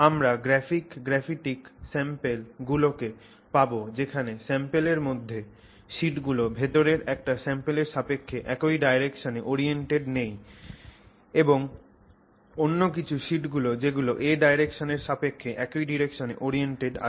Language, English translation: Bengali, So, you can get graphic samples where the sheets inside the sample are not oriented in the same direction, same with respect to A direction inside the sample and some others where they are oriented in the same A direction with respect to each other